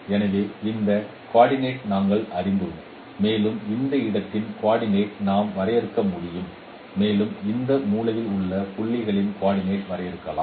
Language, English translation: Tamil, So we know these coordinates and we can also define the coordinates of this space and we can define the coordinates of this corner points